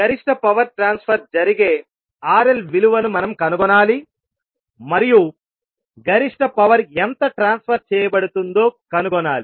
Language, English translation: Telugu, We need to find out the value of RL at which maximum power transfer will take place and we need to find out how much maximum power will be transferred